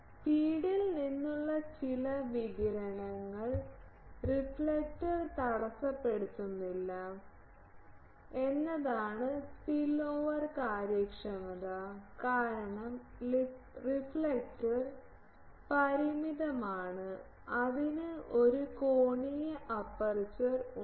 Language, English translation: Malayalam, Spillover efficiency is that some radiation from the feed is not intercepted by the reflector because, reflector is finite it has an angular aperture